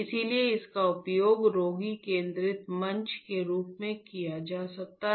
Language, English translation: Hindi, So, this can be used as a patient centric platform